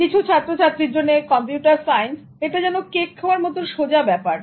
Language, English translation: Bengali, For some students, computer science, it's like eating the cake